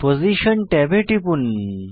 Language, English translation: Bengali, Click on Position tab